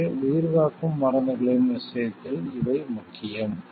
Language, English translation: Tamil, So, these are important in case of life saving drugs